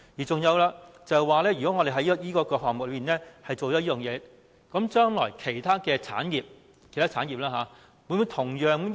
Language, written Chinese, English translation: Cantonese, 再者，如果我們就這個項目落實有關措施，將來其他產業會否向政府提出同樣要求呢？, Furthermore following the introduction of this tax measure to this sector will other sectors demand the same from the Government in the future?